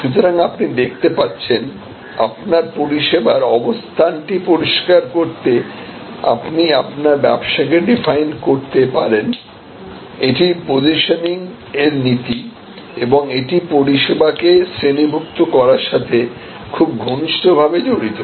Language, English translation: Bengali, So, you can see therefore, you can define your business to clarify your offering position, this is principles of positioning and these classifying your service offerings are very closely connected